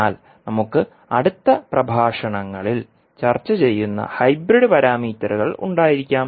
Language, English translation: Malayalam, But we can have the hybrid parameters which we will discuss in the next lectures